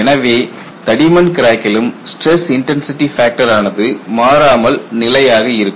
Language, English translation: Tamil, So, in the case of a through the thickness crack stress intensity factor remain constant